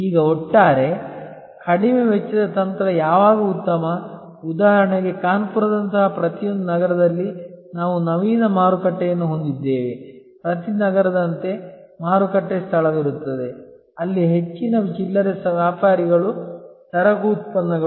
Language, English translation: Kannada, Now, when is overall low cost strategy best for example, in every city like in Kanpur we have Naveen market, like in every city there will be a market place, where most of the retailers of regular merchandise products